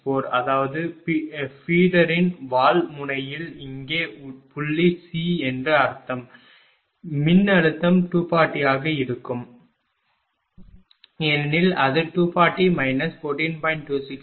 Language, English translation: Tamil, 264 means that there are tail end of the feeder that mean here at point C, the voltage will be 240 because it is given 240 minus 14